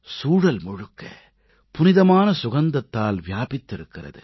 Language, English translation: Tamil, The whole environment is filled with sacred fragrance